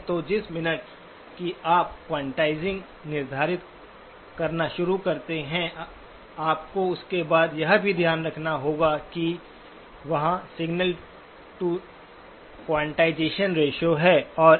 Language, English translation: Hindi, So the minute you start quantizing, you have to then also keep in mind there is a signal to quantization noise ratio